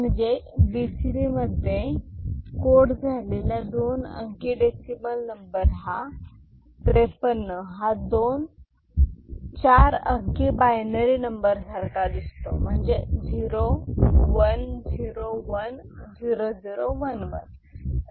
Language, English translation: Marathi, So, BCD coded 2 digit decimal number 53 53 will look like two 4 digit binary number 0 1 0 1 0 0 1 1; 0 1 0 1 0 0 1 1